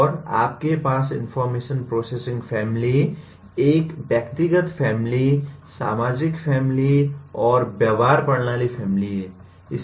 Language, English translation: Hindi, And you have information processing family, a personal family, social family, and behavioral system family